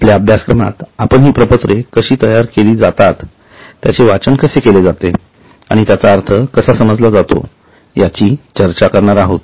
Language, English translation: Marathi, So, in our course we are going to discuss about how these are prepared and how they can be read and interpreted